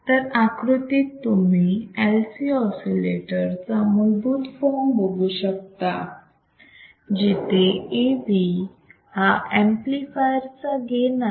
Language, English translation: Marathi, So, the figure shows basic form of LC oscillator with the gain of the amplifier as A V ok